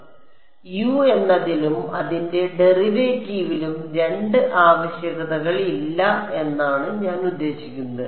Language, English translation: Malayalam, So, I mean there are not two requirements this is requirement on U and its derivative